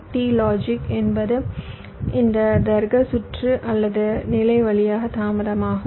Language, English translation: Tamil, is the delay through this logic circuitry or stage